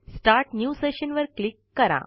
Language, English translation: Marathi, Click Start New Session